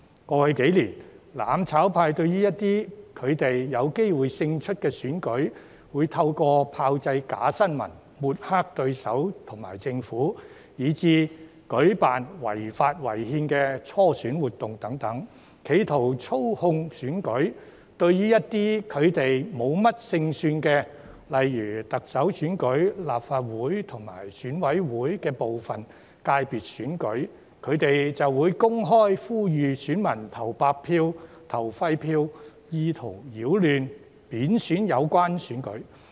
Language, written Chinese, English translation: Cantonese, 過去幾年，"攬炒派"對於他們有機會勝出的選舉，會透過炮製假新聞、抹黑對手和政府以至舉辦違法、違憲的初選活動等，企圖操控選舉，而對於他們無甚勝算的選舉，例如特首選舉、立法會和選舉委員會部分界別的選舉，則會公開呼籲選民投白票、投廢票，意圖擾亂、貶損有關選舉。, In the past few years the mutual destruction camp would attempt to manipulate the elections that they stand a chance of winning by fabricating fake news smearing their opponents and the Government as well as organizing primary elections which are unlawful and unconstitutional etc . For elections in which their chance of winning is slim such as the Chief Executive election the Legislative Council election and the election of some sectors of the Election Committee they would publicly appeal to the electors to cast a blank or invalid vote in an attempt to mess up and derogate the relevant elections